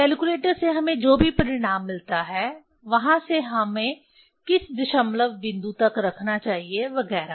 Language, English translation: Hindi, From the calculator whatever result we get, from there up to which decimal point we should keep, etcetera